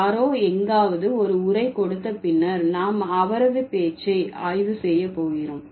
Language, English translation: Tamil, Somebody has given a speech somewhere and then we are going to analyze his speech